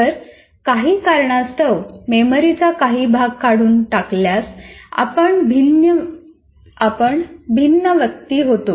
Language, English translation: Marathi, If the some part of the memory for some reason is removed, then we become a different individual